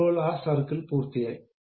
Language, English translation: Malayalam, Now, we are done with that circle